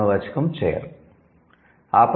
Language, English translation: Telugu, The noun should be chair